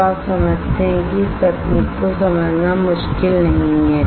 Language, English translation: Hindi, So, you understand that it is not difficult to understand this technique